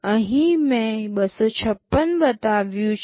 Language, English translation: Gujarati, Here I have shown up to 256